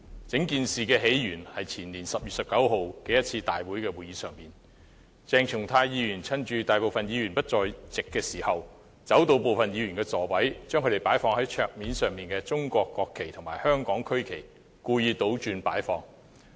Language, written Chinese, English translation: Cantonese, 整件事的起源是在前年10月19日的立法會會議上，鄭松泰議員趁大部分議員不在席時，走到部分議員的座位，把他們擺放在桌上的中國國旗和香港區旗故意倒插。, The entire incident originated from the Legislative Council meeting on 19 October 2016 . During the absence of the majority of Members Dr CHENG Chung - tai went over to the seats of some Members and deliberately inverted the national flags of China and the regional flags of Hong Kong placed on their desks